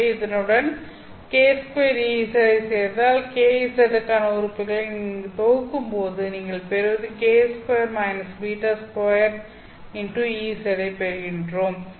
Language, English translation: Tamil, So to this, if you add k square e z, what you get is when you group the terms for kz, you are going to get k square minus beta square into e z